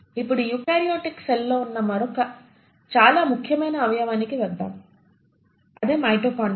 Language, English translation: Telugu, Now let us come to another very important organelle which is present in eukaryotic cell and that is the mitochondria